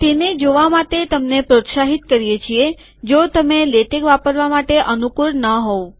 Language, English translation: Gujarati, You are encourage to see them in case you are not comfortable in using latex